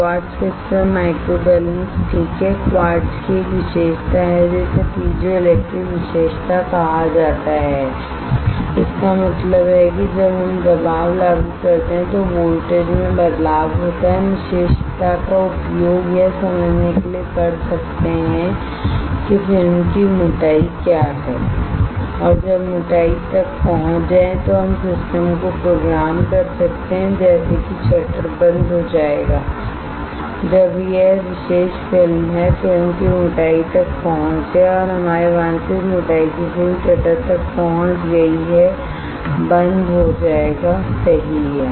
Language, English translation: Hindi, Quartz crystal microbalance alright, quartz has a property it is called piezoelectric property; that means, when we apply pressure there is a change in voltage we can use this property to understand what is the thickness of the film and when the thickness is reached we can program the system such that the shutter will get closed when this particular film is film thickness is reach of or the film of our desired thickness is reached the shutter will get close right